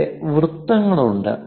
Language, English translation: Malayalam, Here there are circles